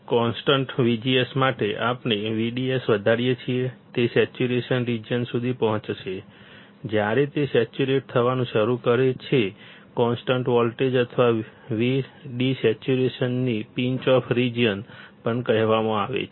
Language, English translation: Gujarati, For constant V G S when we increase V D S, it will reach to a saturation region; when it starts saturating, the constant voltage or V D saturation, it also called the Pinch off region